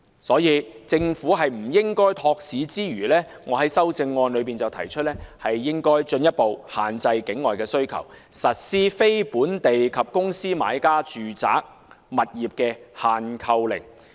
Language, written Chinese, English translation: Cantonese, 所以，政府絕不應該托市之餘，我在修正案提出政府應該進一步限制境外需求，實施非本地及公司買家住宅物業的"限購令"。, For this reason I proposed in my amendment that the Government should suppress the demands from outside Hong Kong by imposing a purchase restriction on residential units purchased by people and corporate buyers from outside Hong Kong